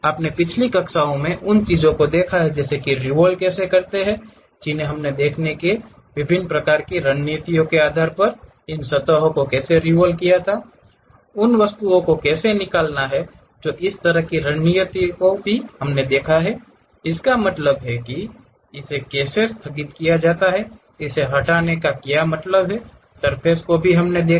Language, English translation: Hindi, You want to revolve the things in the last classes we have seen how to revolve these surfaces based on different kind of strategies, how to extrude the objects that kind of strategies also we have seen, how to what it means chamfering, what it means filleting of surfaces also we have seen